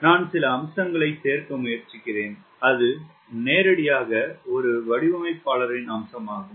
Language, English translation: Tamil, i am trying to add some features which are directly designers feature